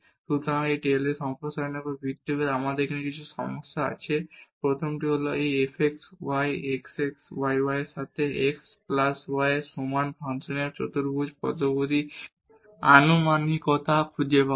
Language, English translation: Bengali, So, we have now some problems based on these Taylor’s expansion the first one is find the quadratic polynomial approximation of the function this fx y is equal to x minus y over x plus y